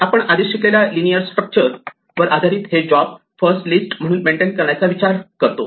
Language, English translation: Marathi, Based on linear structures that we already studied, we can think of maintaining these jobs just as a list